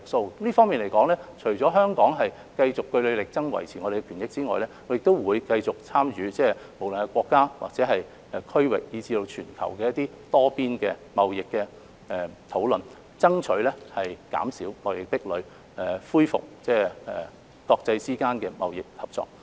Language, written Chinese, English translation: Cantonese, 就這方面，香港除了會繼續據理力爭，維護我們的權益外，亦會繼續參與無論是國家或區域以至全球的多邊貿易討論，以爭取減少貿易壁壘，恢復國際之間的貿易合作。, In view of this Hong Kong will keep fighting our corner and defending our interests . We will also continue to participate in multilateral trade discussions at the national regional or global level with a view to reducing trade barriers and restoring international trade cooperation